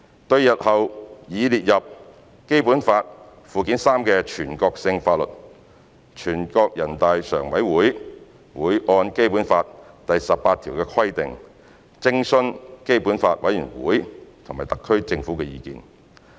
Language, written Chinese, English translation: Cantonese, 對日後擬列入《基本法》附件三的全國性法律，人大常委會會按《基本法》第十八條的規定，徵詢基本法委員會和特區政府的意見。, For national laws to be added to Annex III to the Basic Law in future NPCSC will consult the Committee of the Basic Law and the HKSAR Government in accordance with Article 18 of the Basic Law